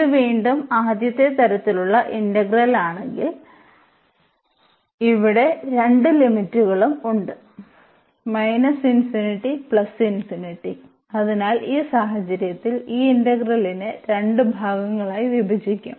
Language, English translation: Malayalam, So, if we have this again the first kind integral, but we have the both the limits here minus infinity and this plus infinity so, in this case what we will do we will break this integral into two parts